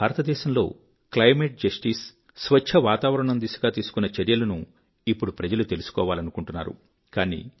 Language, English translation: Telugu, It is my firm belief that people want to know the steps taken in the direction of climate justice and clean environment in India